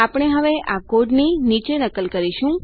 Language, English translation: Gujarati, Well now copy this code down